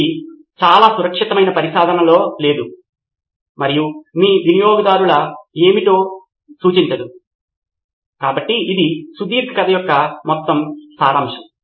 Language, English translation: Telugu, Not in a very safe setup in and which does not represent what your customer is, so that is the whole point of this long story